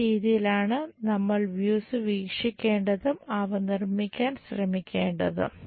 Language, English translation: Malayalam, This is the way we look at these views and try to construct it